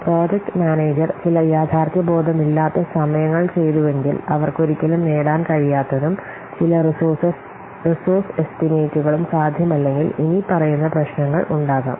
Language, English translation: Malayalam, If the project manager committed some unrealistic times which he cannot achieve at all and some resource estimates which is not feasible at all, then the following problems might arise